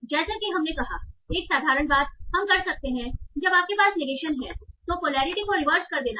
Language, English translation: Hindi, So one, as we said, one simple thing you can do is when you have negation is that you can just reverse the polarity